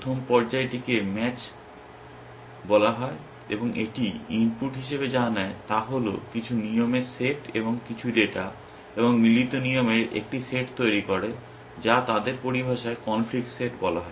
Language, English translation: Bengali, The first phase is called match, and what it takes as input is a set of rules and some data and produces a set of matching rules which in their terminology is called the conflict set